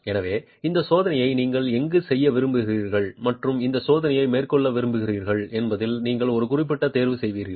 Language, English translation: Tamil, So, you would make a specific choice on where you want to do this test and carry out this test